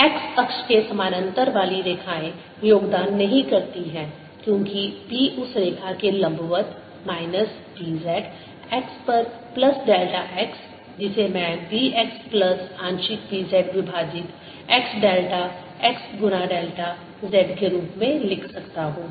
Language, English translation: Hindi, the lines parallel to x axis do not contribute because b is perpendicular to that line, minus b of z at x plus delta x, which i can write as b x plus partial b z over partial x, delta x multiplied by delta z, and this is going to be equal to mu, zero, epsilon zero, d, e, d, t